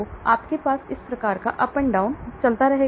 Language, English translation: Hindi, So you may have this type of up and down